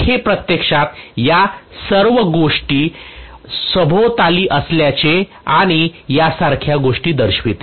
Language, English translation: Marathi, So this shows actually this entire thing going around and things like that